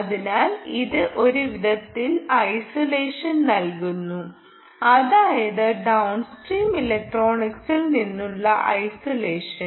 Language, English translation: Malayalam, so it is, in a way, providing isolation, isolation from, isolation from downstream electronics